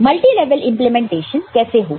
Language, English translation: Hindi, And what could be multilevel implementation